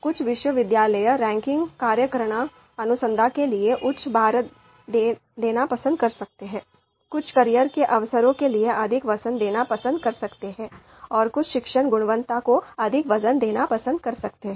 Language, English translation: Hindi, Some university ranking methodology might prefer to give higher weight to research, some might prefer to give higher weight to career opportunities, some might prefer to give higher weight to teaching quality